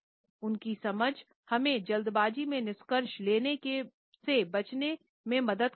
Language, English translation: Hindi, This understanding helps us to avoid hasty conclusions